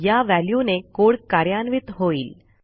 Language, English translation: Marathi, So lets execute this code